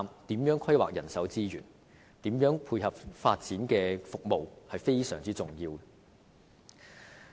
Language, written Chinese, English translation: Cantonese, 如何規劃人手資源及如何配合發展的服務都是非常重要的。, It is very important as to how planning should be made for manpower resources and how support can be provided for the development of services